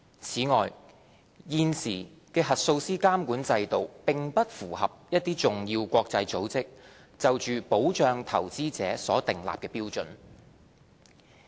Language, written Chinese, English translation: Cantonese, 此外，現時的核數師監管制度並不符合一些重要國際組織關於保障投資者的標準。, In addition the existing regulatory regime for auditors is not in line with the standards of certain important international organizations on investor protection